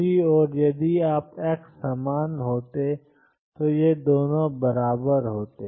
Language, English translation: Hindi, On the other hand if all xs were the same then these 2 would have been equal